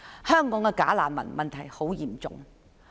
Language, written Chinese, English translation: Cantonese, 香港的假難民問題非常嚴重。, The bogus refugee problem in Hong Kong is very serious